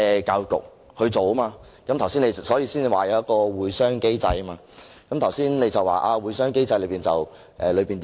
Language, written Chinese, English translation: Cantonese, 局長剛才提到有一個"會商機制"，又說不能公開"會商機制"的會議內容。, The Secretary just mentioned that there is the meeting mechanism but that the contents of meetings on the meeting mechanism cannot be made public